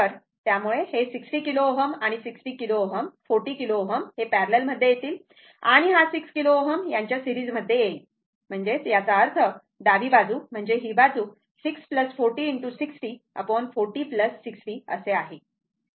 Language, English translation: Marathi, So, 40 kilo ohm and 60 kilo ohm are in parallel with that 6 kilo ohm is in series; that means, left hand side, I mean this side, it will be your 6 plus 40 into 60 divided by 40 plus 60 right, this side